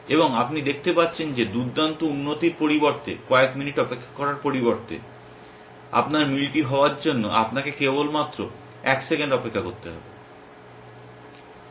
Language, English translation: Bengali, And you can see that the great improvement instead of having to wait of few minutes, you might have to just wait a second for your match to be done essentially